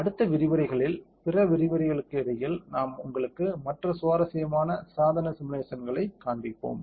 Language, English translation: Tamil, In further lectures in between other lectures we will keep showing you other interesting device simulations